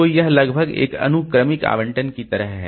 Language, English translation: Hindi, So, it is almost like a sequential allocation